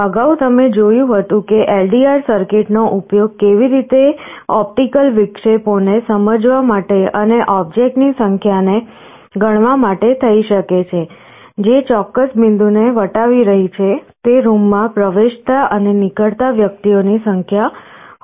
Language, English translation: Gujarati, Earlier you had seen how an LDR circuit can be used to sense optical interruptions and count the number of objects, which are crossing a certain point, may be number of persons entering and leaving a room